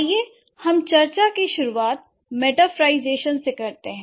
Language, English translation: Hindi, So, now start the, let's begin the discussion with metaphorization